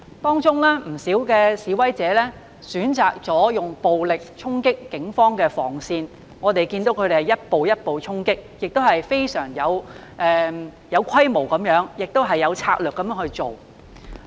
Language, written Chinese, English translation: Cantonese, 當中有不少示威者選擇使用暴力衝擊警方的防線，我們看到他們一步一步衝擊，亦非常有規模地、有策略地去做。, Quite a number of protesters chose to charge the Police cordon line with violence . We could see that they charged step by step on a significant scale strategically